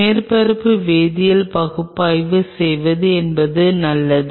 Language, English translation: Tamil, It is always a good idea to do a surface chemical analysis